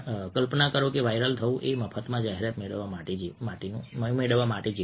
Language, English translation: Gujarati, imagine: you are viral is like getting an advertisement free of cost